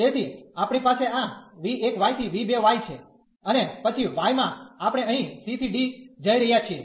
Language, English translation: Gujarati, So, we have v 1 y to this v 2 y and then in the y we are going here from c to d